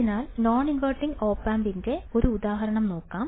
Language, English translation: Malayalam, So, let us take an example of non inverting opamp all right